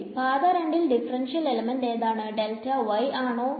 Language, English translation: Malayalam, So, for path 2, what is the differential element delta y